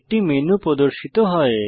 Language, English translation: Bengali, A menu appears